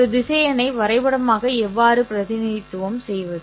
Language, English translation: Tamil, How do I represent graphically a vector